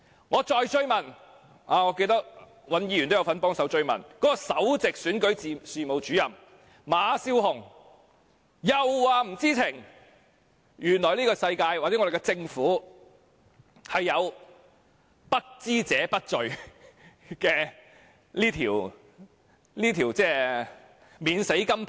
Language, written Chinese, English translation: Cantonese, 我再追問，我記得尹兆堅議員亦有幫忙追問，首席選舉事務主任馬笑虹亦表示不知情，原來我們的政府有不知者不罪這塊免死金牌。, When I pursued the question and so did Mr Andrew WAN as I remember Principal Electoral Officer Candy MA also said she had no knowledge of it . I did not know that ignorance means not guilty can be used as a golden shield of immunity in the Government